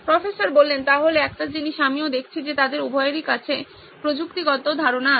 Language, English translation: Bengali, So one thing is also I am noticing that they both are tech related ideas